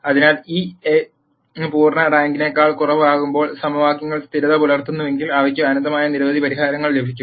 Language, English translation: Malayalam, So, when this A becomes rank less than full rank, if the equations are consistent then they will get infinitely number of many infinitely many solutions